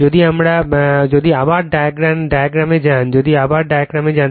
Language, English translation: Bengali, if you go to the diagram again , if, you go to the diagram again